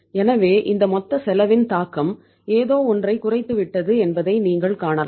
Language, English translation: Tamil, So it means you can see that the impact of this total cost it is something, gone down